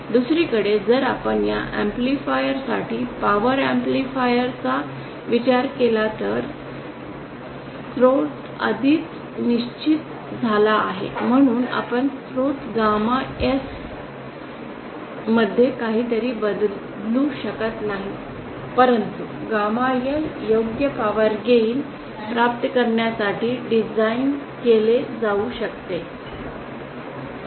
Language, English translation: Marathi, On the other hand if we consider power amplifiers for these amplifiers the source is already fixed so we can’t change anything in the source gamma S but gamma L cab be designed to obtain the appropriate power gain